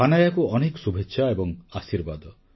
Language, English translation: Odia, Best wishes and blessings to Hanaya